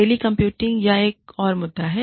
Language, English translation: Hindi, Telecommuting, is another issue, here